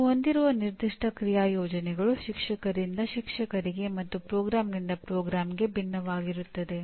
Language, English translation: Kannada, That is how the specific action plans that you have will differ from teacher to teacher from program to program